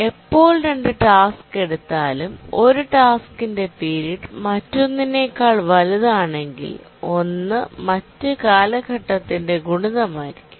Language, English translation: Malayalam, Whenever we take two tasks, if one task has a higher period than the other task then it must be a multiple of the period